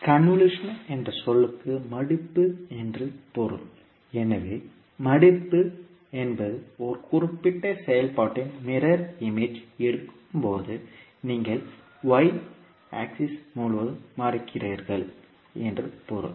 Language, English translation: Tamil, The term convolution means folding, so folding means when you take the mirror image of a particular function, means you are folding across the y axis